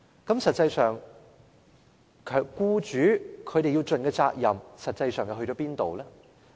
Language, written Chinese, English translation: Cantonese, 在這情況下，僱主應盡的責任實際上去了哪裏？, In that case what is the actual responsibility borne by employers?